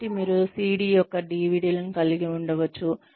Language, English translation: Telugu, So, you could have CD